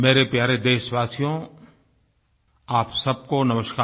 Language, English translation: Hindi, My dear countrymen, my greetings namaskar to you all